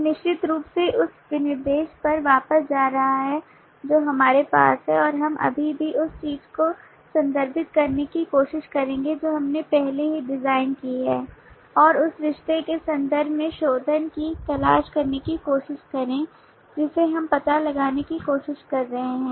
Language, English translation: Hindi, one is certainly going back to the specification that we have and also we will try to now refer to what we have already designed and try to look for refinements in terms of the relationship that we are trying to find out